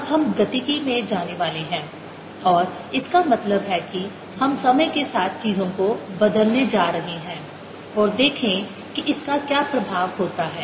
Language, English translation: Hindi, now we are going to go into dynamics and what that means is we are going to change things with time and see what is the effect of this